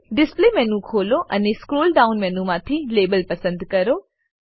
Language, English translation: Gujarati, Open the display menu, and select Label from the scroll down menu